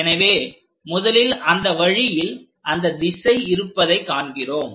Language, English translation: Tamil, So, first we see that the direction is in that way